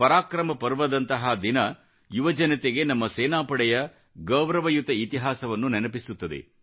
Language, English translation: Kannada, A day such as ParaakaramPrava reminds our youth of the glorious heritage of our Army